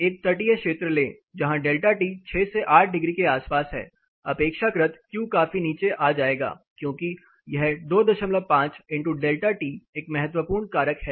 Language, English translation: Hindi, Take a coastal region where the delta T is of the order of 6 to 8 degrees relatively the Q is going to come down much considerably because this is a crucial factor 2